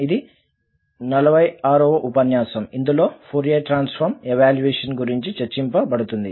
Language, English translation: Telugu, So, this is lecture number 46 on Evaluation of Fourier Transform